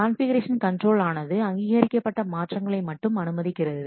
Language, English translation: Tamil, The configuration control it allows only authorized changes